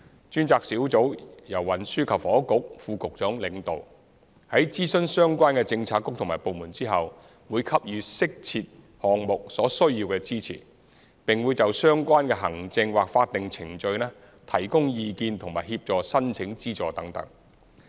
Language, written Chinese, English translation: Cantonese, 專責小組由運輸及房屋局副局長領導，在諮詢相關的政策局和部門後，會給予適切項目所需要的支持，並會就相關的行政或法定程序提供意見和協助申請資助等。, The task force is led by the Under Secretary for Transport and Housing . Following consultation with relevant bureaux and departments it will provide necessary support to the projects concerned and will offer advice on the related administrative or statutory procedures as well as assistance in applying for funding